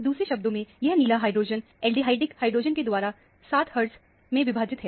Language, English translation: Hindi, In other words, this blue hydrogen is split by the aldehydic hydrogen by 7 hertz